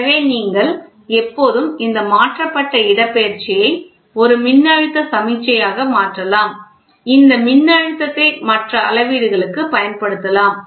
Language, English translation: Tamil, So, it is always like that displacement you always converted into a into a voltage signal, so that this voltage can be used for very other measurements